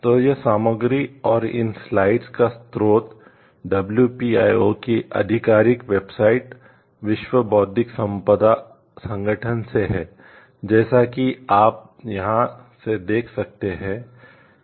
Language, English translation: Hindi, So, this content and the source of these slides have been from the official website of the WPIO, World Intellectual Property Organization, as you can see from here